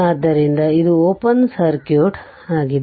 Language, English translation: Kannada, So, it is open circuit